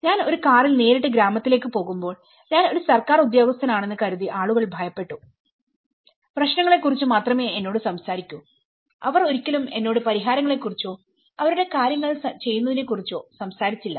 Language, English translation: Malayalam, when I approached the village directly in a car and going with, then people were afraid of they thought I was a Government servant and that only talk to me about problems they never talked to me about solutions or their how the things were doing I was getting a different data